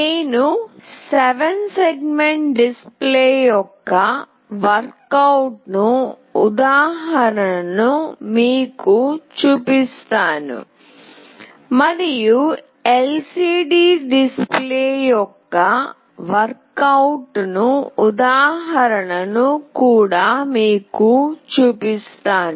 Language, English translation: Telugu, I will be showing you a worked out example of a 7 segment display and also I will be showing you a worked out example of a LCD display